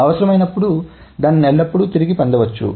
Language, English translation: Telugu, So that can be always retrieved when necessary